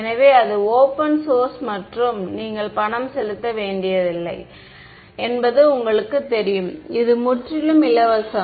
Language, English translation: Tamil, So, it is open source and you know you do not have to pay money for, it is free right